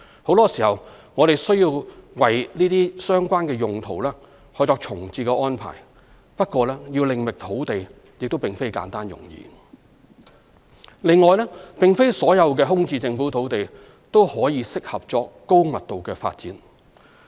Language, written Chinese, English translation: Cantonese, 很多時，我們需要為這些相關用途作重置安排，不過要另覓用地亦非簡單容易。另外，並非所有空置政府土地也適合作高密度發展。, Such uses can therefore not be terminated without the need for reprovisioning but it is not always simple and easy to identify other sites for accommodating these operations